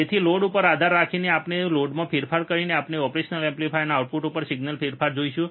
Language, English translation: Gujarati, so, depending on the load, if we vary the load we will see the change in the signal at the output of the operational amplifier